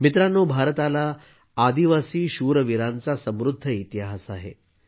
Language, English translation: Marathi, Friends, India has a rich history of tribal warriors